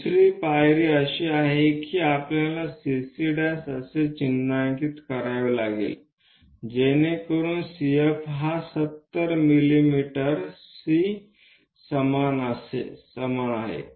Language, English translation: Marathi, Second step is we have to mark CC prime such that C F is equal to 70 mm C is this point F is that point